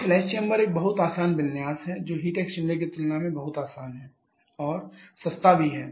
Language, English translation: Hindi, So, flash memory is a much easier configuration much easier to control ensure the heat exchanger and cheaper as well